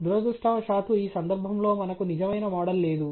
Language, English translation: Telugu, We do not have, unfortunately, in this case a true model